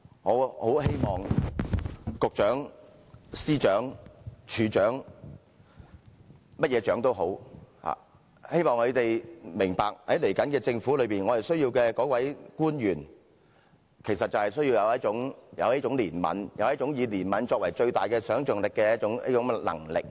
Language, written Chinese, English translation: Cantonese, 我很希望局長、司長、署長或任何首長明白，在接下來的政府，我們需要官員有一種憐憫，有一種以憐憫作為最大想象力的能力。, I do hope that the Financial Secretary Secretaries of Departments Directors of Bureaux and other unit heads can understand that in the next Government we need officials who have compassion the kind of compassion as the maximal capacity of affective imagination